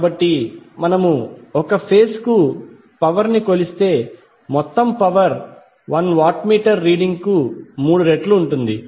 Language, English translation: Telugu, So if we measure power for one single phase the total power will be three times of the reading of 1 watt meter